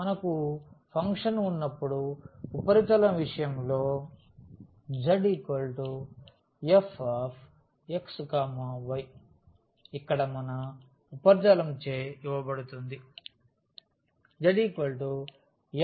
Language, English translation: Telugu, In case of the surface when we have a function z is equal to f x y so, our here the surface is given by z is equal to f x y